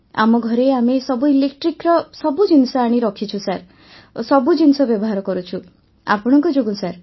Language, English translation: Odia, In our house we have brought all electric appliances in the house sir, we are using everything because of you sir